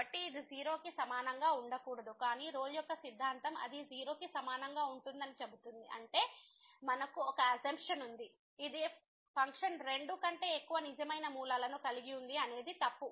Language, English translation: Telugu, So, it cannot be equal to 0, but the Rolle’s Theorem says that it will be equal to 0; that means, we have a assumption which was that the function has more than two real roots is wrong